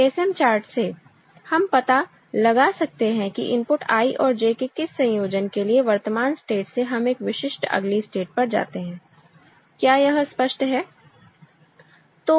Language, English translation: Hindi, So, from the ASM chart, we can find out for what combination of the input I and J from current state, we go to a specific next state; is it clear right